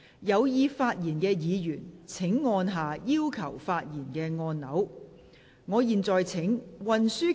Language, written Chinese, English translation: Cantonese, 有意發言的議員請按下"要求發言"按鈕。, Members who wish to speak will please press the Request to speak button